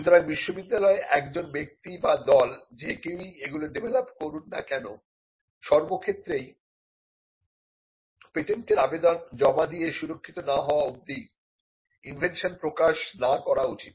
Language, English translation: Bengali, So, regardless of what a person or a team develops in the university, it is important that the invention is not disclosed until it is protected by filing a patent application